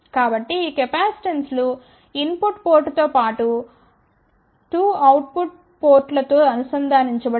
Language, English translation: Telugu, So, these capacitances are connected at the input port as well as the 2 output ports